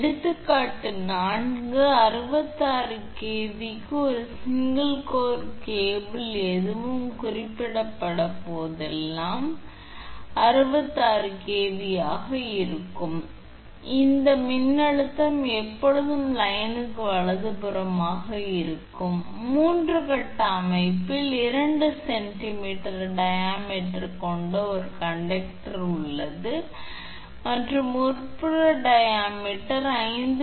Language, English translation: Tamil, Example four: So a single core cable for 66 kV whenever nothing will be mentioned , this is 66 will be this voltage always will be line to line right, 3 phase system has a conductor of 2 centimeter diameter and sheath of inside diameter is 5